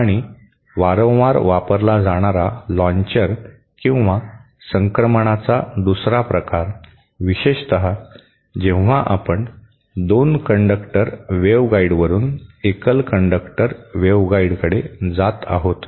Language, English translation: Marathi, And one another type of launcher or transition that is frequently used, especially when you are going from 2 conductor waveguide to a single conductor waveguide